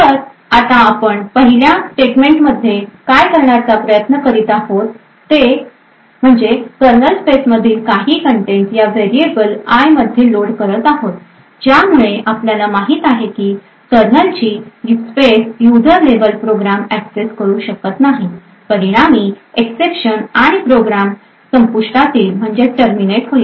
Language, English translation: Marathi, So now what we are trying to do in the first statement is load some contents from the kernel space into this variable called i, so as we know that the kernel space is not accessible from a user level program, now this would result in an exception to be thrown and the program would terminate